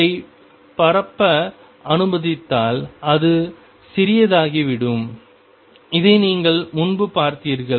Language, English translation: Tamil, If let it spread it tends to become smaller and you seen this earlier